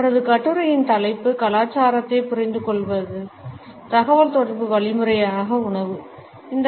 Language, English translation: Tamil, The title of her article is “Understanding Culture: Food as a Means of Communication”